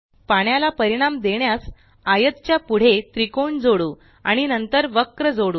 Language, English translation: Marathi, To give the effect of water, we shall add a triangle next to the rectangle and then add a curve